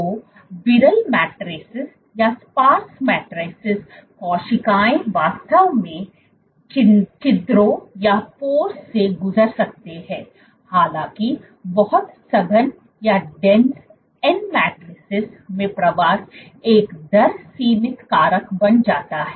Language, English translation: Hindi, So, in sparse matrices cells might actually pass through the pores; however, in very dense matrices, when the matrix is very dense migrating becomes a rate limiting factor